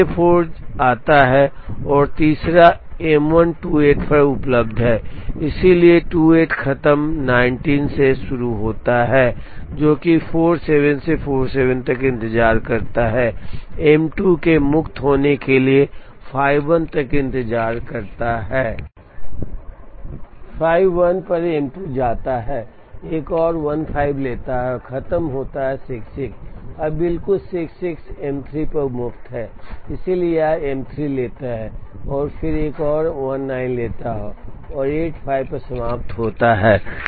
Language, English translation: Hindi, Now J 4 comes third M 1 is available at 28, so starts at 28 finishes at 28 plus 19 which is 47 waits till 51 for M 2 to be free, goes to M 2 at 51 takes another 15 and finishes at 66